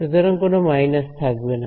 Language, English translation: Bengali, So, there should not be any minus sign